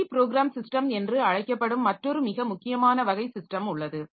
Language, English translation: Tamil, Another very important class of systems they are known as multi programmed systems